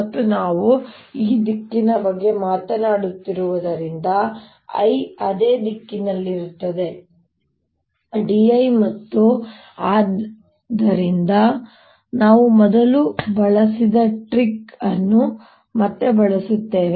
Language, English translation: Kannada, and since we have been talking about this direction, i is in the same direction is d l, and therefore we again use a trick that we used earlier